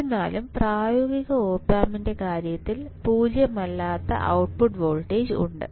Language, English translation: Malayalam, However in case of practical op amp a non zero output voltage is present